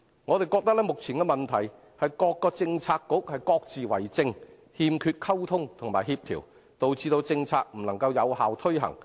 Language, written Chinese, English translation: Cantonese, 我們覺得，目前的問題是各個政策局各自為政，欠缺溝通及協調，導致政策未能有效推行。, In our view the present problem lies in the fragmented administration amongst various Policy Bureaux and the lack of communication and coordination resulted in the failure of effective implementation of policies